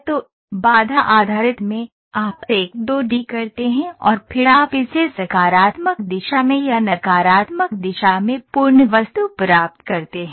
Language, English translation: Hindi, So, in constraint based, you do a 2 D and then you stretch it either in the positive direction or in the negative direction you get a complete object